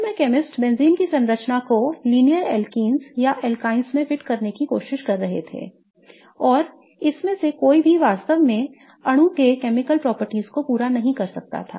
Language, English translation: Hindi, Initially chemists were just trying to fit the structure of benzene to linear alkenes or alkynes and none of it could really satisfy the chemical properties of the molecule